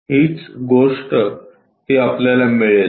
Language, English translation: Marathi, So, this is the thing what we will get it